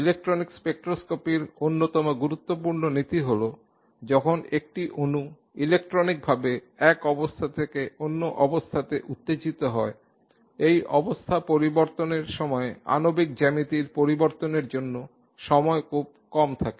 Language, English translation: Bengali, One of the most important principles in electronic spectroscopy is that when a molecule is electronically excited from one state to the other, there is very little time for the molecular geometry to change during the transition